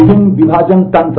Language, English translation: Hindi, The different partitioning mechanism